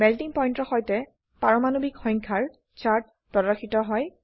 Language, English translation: Assamese, A chart of Melting point versus Atomic number is displayed